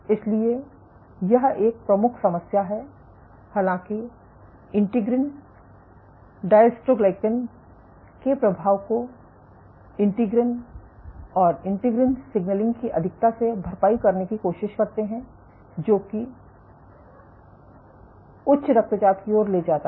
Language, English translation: Hindi, So, this is the problem though the integrins try to compensate the effect of dystroglycan by over expressing integrins and integrin signaling in a sense it leads to hypertension